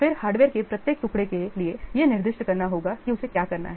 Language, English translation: Hindi, Then for each piece of hardware, specify what it needs to do